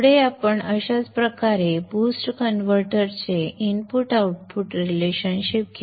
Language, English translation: Marathi, Next we will take up the input output relationship of the boost converter in the similar way